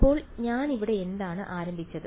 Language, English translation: Malayalam, So what I started with here